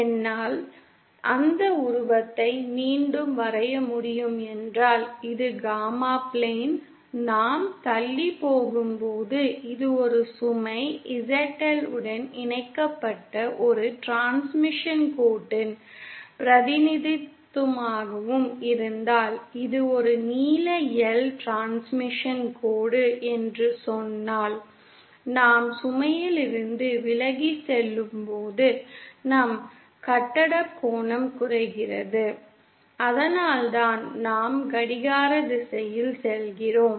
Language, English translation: Tamil, If I can just redraw that figureÉso this is the gamma plane and as we go awayÉso if this is the representation of a transmission line with a load ZL connected then, and say this is a transmission line of some length L, then as we are going away from the load, our phase angle decreases and thatÕs why we are going in a clockwise direction